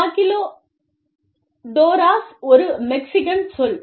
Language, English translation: Tamil, Maquiladoras is a Mexican term